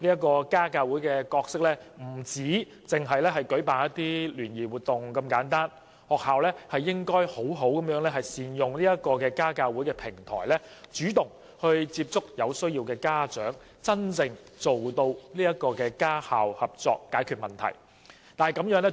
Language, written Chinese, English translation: Cantonese, 家教會所擔當的角色，不應只限於舉辦聯誼活動，學校應該好好利用家教會作為平台，主動接觸有需要的家長，真正達致家校合作，使問題得以解決。, Meanwhile the role of parent - teacher associations PTAs should not be confined to organizing social activities . Schools should make good use of PTAs as a platform to take the initiative to contact with parents in need to truly achieve cooperation between parents and schools with a view to resolving problems